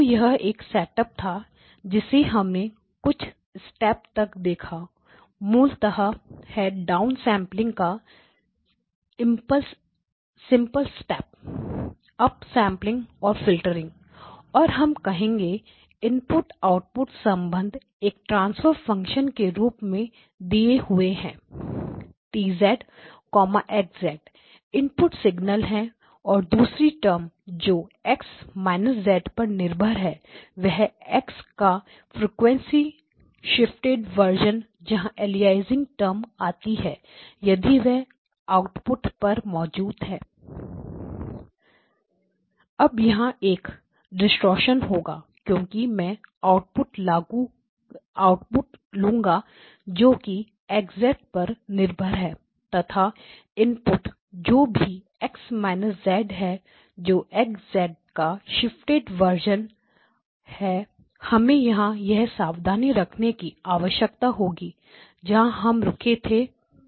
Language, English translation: Hindi, So this was the setup we went through the few steps basically a simple steps of down sampling, up sampling and filtering and we said that the input output relationships is given in terms of a transfer function T of Z times X of Z that is the input signal and a second term which depends on X of minus Z that is a frequency shifted version of X, that is where the aliasing terms come in if that is present at output